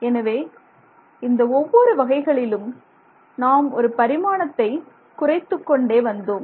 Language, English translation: Tamil, So, in each of these cases we are reducing dimensions